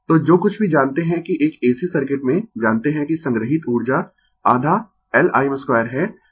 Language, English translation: Hindi, So, whatever we know that in an AC circuit, we know that energy stored is half L I m square